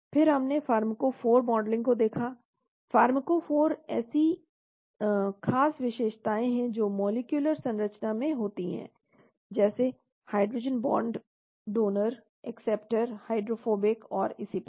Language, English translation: Hindi, Then we looked at pharmacophore modeling, pharmacophore are special features which the molecular structure has like hydrogen bond donors, acceptors, hydrophobic and so on